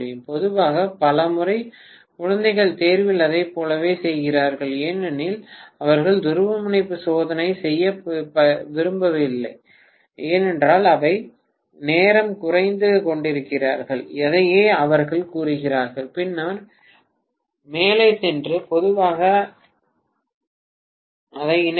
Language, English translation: Tamil, And generally many times the kids do it like in the exam they do not want to do the polarity test because they are falling short of time, that is what they claim and then go ahead and connect it generally